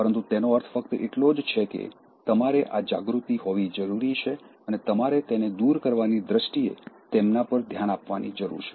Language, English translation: Gujarati, But it only means that, you need to have this awareness and you need to pay attention to them in terms of eliminating them